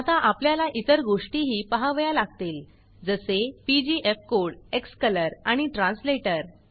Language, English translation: Marathi, Now we will have to see the other things, namely pgfcode, xcolor and translator